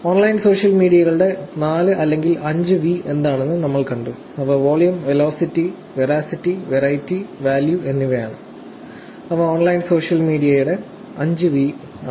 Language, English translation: Malayalam, We also saw what 4 or 5 V's of online social media are, they are volume, velocity, veracity, variety and value those are the 5 V's of online social media